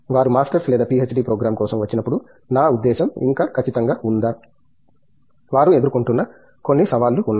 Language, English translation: Telugu, When they come for a masters or a PhD program, are there still certain I mean, are there certain challenges that they face